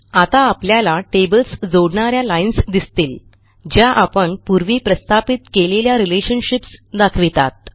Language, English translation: Marathi, Now we see lines linking these tables and these are the relationships that we had established earlier